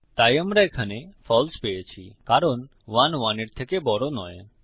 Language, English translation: Bengali, So we have got false here because 1 is not greater than 1